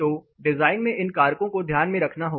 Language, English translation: Hindi, So, design has to take into account these factors